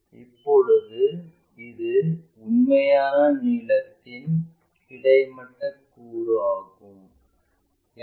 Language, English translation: Tamil, Now, this is a horizontal component of true length